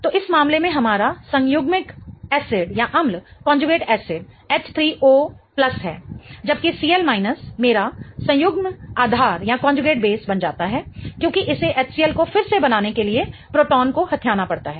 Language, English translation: Hindi, So, in this case our conjugate acid is H3O plus, whereas CL minus becomes my conjugate base because it has to grab a proton in order to form HCL again